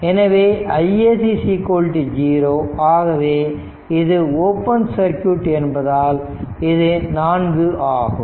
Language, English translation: Tamil, So, I SC is equal to 0, so it will be 4 it is open circuit right